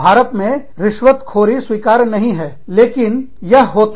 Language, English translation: Hindi, In India, Bribery is not accepted, but it happens